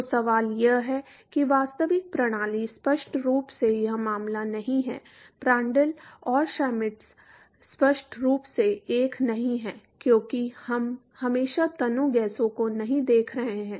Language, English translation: Hindi, So, the question is real system are obviously not this case; Prandtl and Schmidt are obviously not 1 because we are not always looking at dilute gases